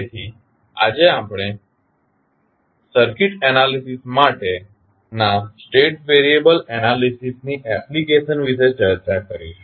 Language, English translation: Gujarati, So, today we will discuss about the application of state variable analysis in the circuit analysis